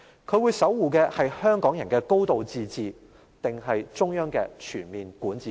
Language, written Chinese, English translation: Cantonese, 她會守護的是香港人的"高度自治"，還是中央的全面管治權？, Will she safeguard the high degree of autonomy of the Hong Kong people or the comprehensive jurisdiction of the central authorities?